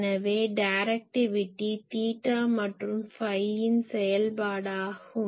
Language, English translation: Tamil, So, directivity is a function it is a function of theta and phi